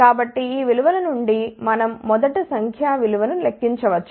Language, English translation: Telugu, So, from these values we can calculate first the numeric value